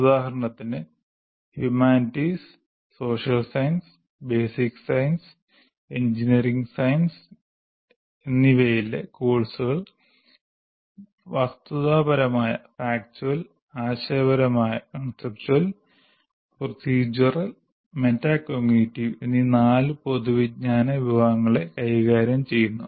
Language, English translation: Malayalam, For example, courses in humanities, social sciences, basic sciences, courses in humanities, social sciences, basic sciences and engineering sciences deal with the four general categories of knowledge, namely factual, conceptual, procedural and metacognitive